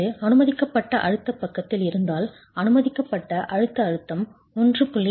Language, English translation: Tamil, If it was on the permissible stress side, fc the permissible compressive stress would be increased by 1